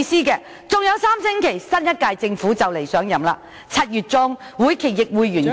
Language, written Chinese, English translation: Cantonese, 還有3星期，新一屆政府便會上任，而到了7月中，會期亦告完結......, Three weeks later the new - term Government will take office and by mid - July this session will also come to an end